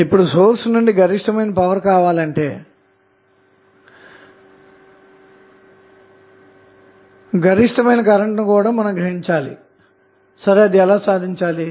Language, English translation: Telugu, So, when you want to draw maximum power from the source means, you want to draw maximum possible current from the source how it will be achieved